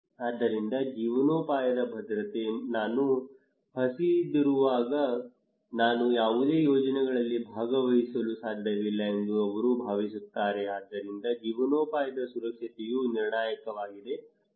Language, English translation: Kannada, So livelihood security, they feel that when I am hungry I cannot participate in any projects so livelihood security is critical